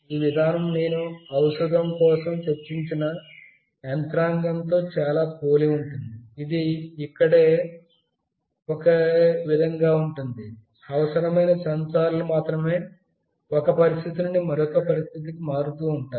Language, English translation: Telugu, The mechanism is very similar as I have discussed for medicine, it will be same here, only the sensors that are required shall vary from one situation to the next